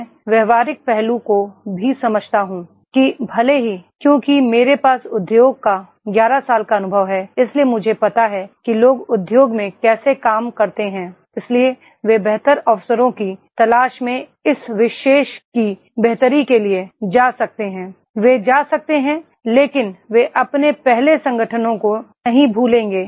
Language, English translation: Hindi, I understand the practical aspect also that even if…Because I have 11 years of the industry experience, so I know that is the how people work in industries, so they may go for the betterment of this particular looking for the better opportunities, they may go but they will not forget their past organizations